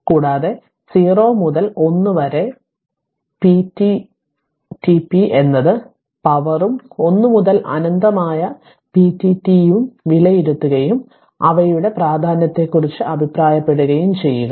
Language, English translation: Malayalam, And evaluate the integrals 0 to 1 p dt p is power and 1 to infinity p dt and comment on their your significance right